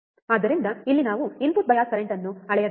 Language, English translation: Kannada, So, here we have to measure input bias current right